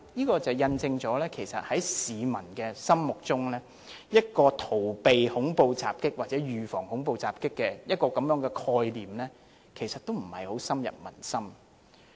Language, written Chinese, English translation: Cantonese, 然而，這印證了在市民的心目中，逃避恐怖襲擊或預防恐怖襲擊的概念，其實並不太深入民心。, Nevertheless this tells that the concept of getting away from or preventing a terrorist attack is actually not firmly embedded in the minds of the public